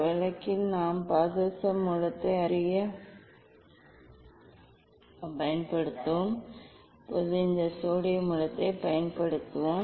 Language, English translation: Tamil, in this case we will use the mercury source as a known source